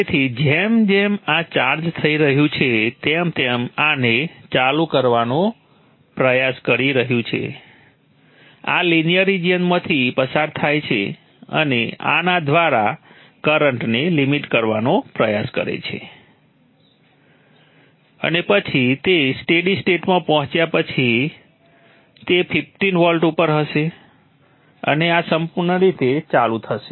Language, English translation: Gujarati, So as this is getting charged up this is trying to turn this on this goes through the linear region tries to limit the current through this and then after after it reaches stable state this would be at 15 volts and this would be fully on